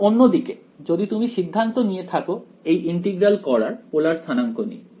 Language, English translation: Bengali, Now on the other hand if you decided to do this integral using let us say polar coordinates right